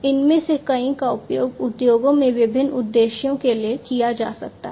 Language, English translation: Hindi, Many of these could be used for different purposes in the industries